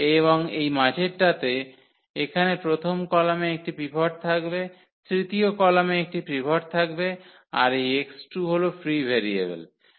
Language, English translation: Bengali, And this middle one so, here the first column will have a pivot and the third column has a pivot and this x 2 is going to be the free variable